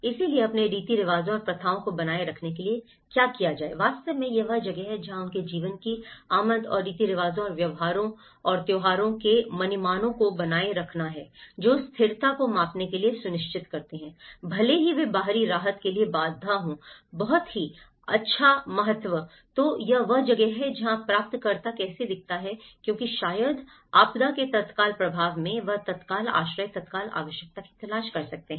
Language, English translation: Hindi, So, also how to retain their customs and practices so, in fact, this is where inflow of their lives and desired to retain customs and practices and behaviour patterns which ensure measure of stability even if they are hindrance of effect to external relief is of great importance, so this is where how the recipient looks at because maybe in the immediate impact of a disaster, he might look for an immediate shelter, immediate need